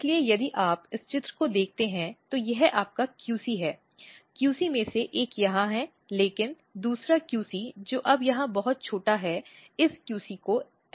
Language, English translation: Hindi, So, if you look this picture, so this is your QC, one of the QC is here, but second QC which is now very small here this QC is ablated